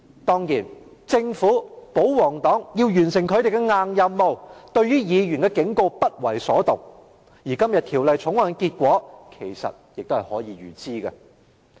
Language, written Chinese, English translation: Cantonese, 當然，政府及保皇黨要完成他們的"硬任務"，對議員的警告不為所動，而今天《條例草案》的結果其實可以預知。, Of course to accomplish the non - negotiable task the Government and the royalists paid no heed to the warning . Actually the outcome of the Bill today is foreseeable